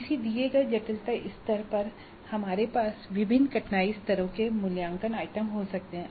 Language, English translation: Hindi, At a given complexity level we can now assessment items of different difficulty levels